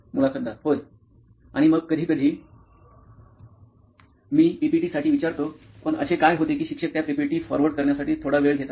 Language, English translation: Marathi, Yeah, and then sometimes I ask for the PPTs but what happens that teachers take a bit little time to forward those PPTs